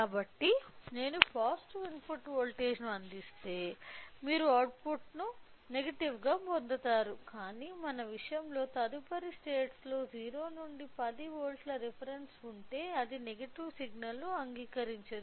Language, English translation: Telugu, So, if we provide a positive input voltage you will get an output as negative if that is then we can go with, but in our case if the next states has a reference of 0 to 10 volts where it cannot accept the negative signal then I have to change the phase from 0 negative to the positive